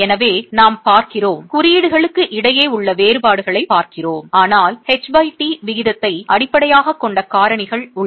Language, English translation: Tamil, So, we look at the differences that are there between codes but there are factors that are based on the H